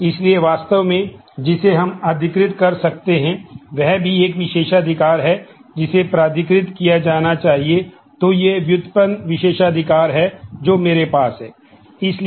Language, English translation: Hindi, So, actually what we can authorize is also a privilege that needs to be authorized